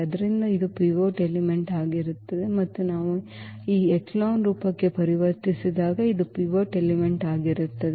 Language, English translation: Kannada, So, this will be the pivot element and this will be also the pivot element when we convert into this echelon form